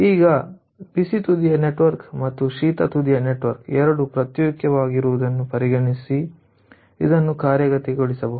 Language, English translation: Kannada, and now it can be worked out considering that there is a hot end problem, our hot end network, and there is a cold end network and these two are separate